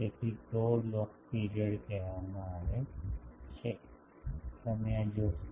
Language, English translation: Gujarati, So, tau is called the log period you will see this